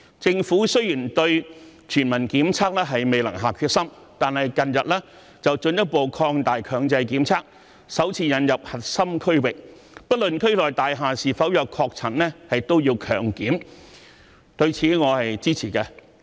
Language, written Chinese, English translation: Cantonese, 政府雖然未能下定決心推行全民檢測，但近日進一步擴大強制檢測，首次劃定核心區域，不論區內大廈是否有確診，居民都要接受強制檢測，對此我是支持的。, Although the Government failed to make up its minds to implement population - wide testing it has recently further expanded compulsory testing and for the first time delineated a core area in which all residents are required to undergo compulsory testing regardless of whether confirmed cases are found in the buildings within the area . I am in support of this